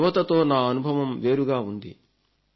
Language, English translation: Telugu, My experience regarding youth is different